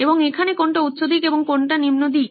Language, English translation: Bengali, And what is high side and what is low side here